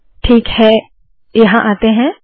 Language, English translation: Hindi, Alright, lets come here